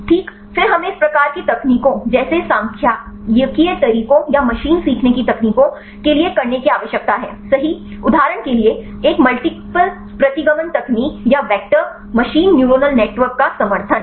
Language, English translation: Hindi, Then we need to feed this in do some type of techniques like statistical methods or machine learning techniques right for example, a multiple regression technique or support vector machine neural network right